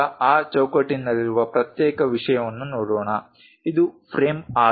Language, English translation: Kannada, Now, let us look at the individual thing in that frame this is the frame